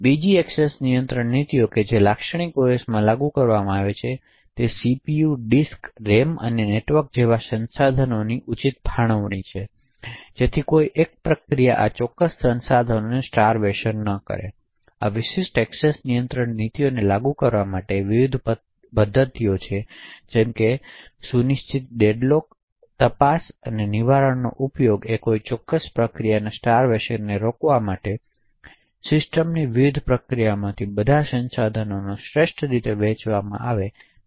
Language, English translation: Gujarati, Another access control policy which typical OS is implemented is the fair allocation of resources such as CPU, disk, RAM and network, so that one process is not starved of a particular resource, in order to implement this particular access control policy various mechanisms such as scheduling deadlock detection and prevention are used in order to prevent starvation of a particular process and ensure that all resources are optimally shared among the various processes in the system